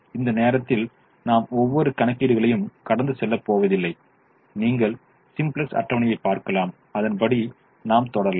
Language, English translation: Tamil, i am not going to go through each and every one of the calculations, the you can see the simplex table and you can proceed